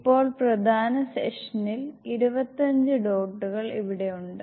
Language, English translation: Malayalam, So now, main the session has 25 dots here